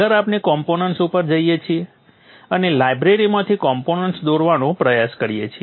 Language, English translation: Gujarati, Next we go to the components and try to draw the components from the libraries